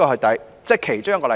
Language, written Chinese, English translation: Cantonese, 這是其中一個例子。, This is one of the examples